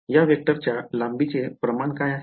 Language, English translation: Marathi, What is the norm of this vector length of this vector